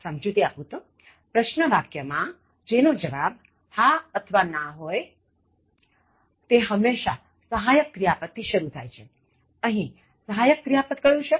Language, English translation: Gujarati, Explanation: In questions where the answer is a yes or no begin with the auxiliary verb, here what is the auxiliary verb